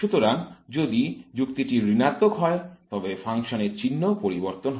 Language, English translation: Bengali, Therefore if the argument is negative then the function changes sign